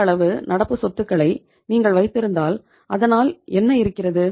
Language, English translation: Tamil, If you are increasing the level of current assets what is happening